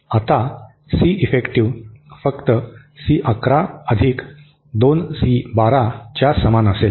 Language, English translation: Marathi, Now, C effective will be simply equal to C 11 + 2C 12